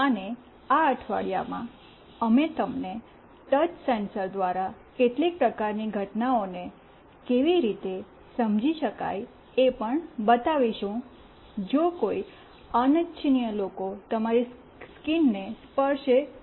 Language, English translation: Gujarati, And in this week, we will also show you through a touch sensor, how we can sense some kind of events, if an unwanted people touches your screen